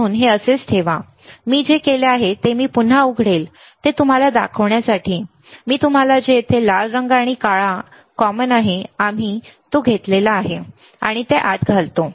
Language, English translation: Marathi, So, keep it like this, what I have done I will open it again to show it to you what I have done you see red goes here black is common right and we insert it, right